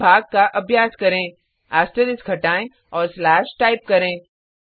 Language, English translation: Hindi, Now let us try division Remove asterisk and type slash Save it Run